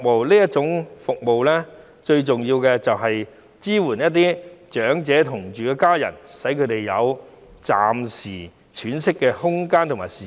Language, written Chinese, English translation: Cantonese, 這種服務最重要就是要支援與長者同住的家人，使他們有暫時喘息的空間和時間。, It serves the main objective of supporting the family members living together with elderly persons so that the former can have some breathing space and time